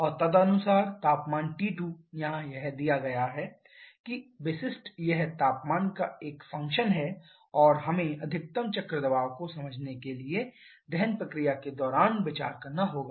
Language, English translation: Hindi, And correspondingly the temperature T 2 here it is given that specific it is a function of temperature and that we have to consider during the combustion process in order to understand the maximum cycle pressure